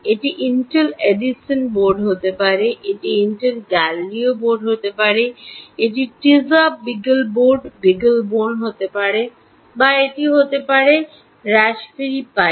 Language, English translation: Bengali, it could be intel edison board, it could be intel galileo board, it could be teiza times, beagleboard, beaglebone, or it could be raspberry pi